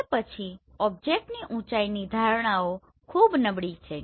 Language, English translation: Gujarati, So object height perceptions will be very poor